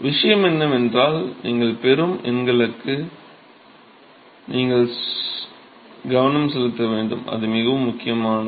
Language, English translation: Tamil, The point is that you have to pay attention to the numbers that you get, it is very important